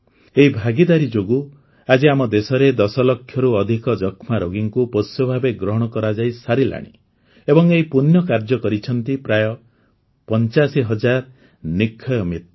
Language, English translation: Odia, It is due to this participation, that today, more than 10 lakh TB patients in the country have been adopted… and this is a noble deed on the part of close to 85 thousand Nikshay Mitras